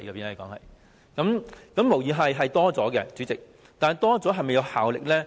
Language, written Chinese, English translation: Cantonese, 主席，金額無疑是增加了，但保障是否有效呢？, President undoubtedly the amount has increased but is the protection effective?